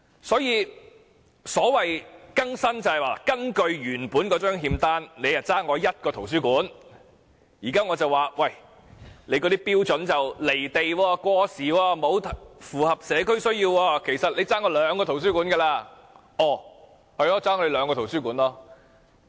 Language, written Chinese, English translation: Cantonese, 所以，所謂"更新"就是根據原本的欠單，政府本來欠市民一個圖書館，但我現在認為這標準"離地"、過時，並不符合社區需要，其實政府應該欠市民兩個圖書館。, Hence what is meant by updating? . Say according to the original IOU the Government owes us a public library . But I now consider that the old standard is unrealistic or outdated and cannot cater for the communitys demand so the Government should owe us two libraries